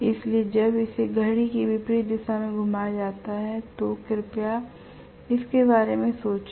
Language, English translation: Hindi, So when it is rotated in anti clock wise direction please think about it